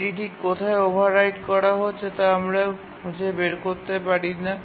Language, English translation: Bengali, You cannot find out where exactly it is overwriting and so on